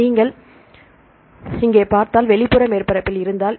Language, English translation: Tamil, So, if you there in the outer surface if you see here